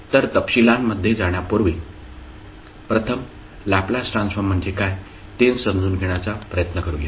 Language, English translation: Marathi, So before going into the details, let's first try to understand what is Laplace transform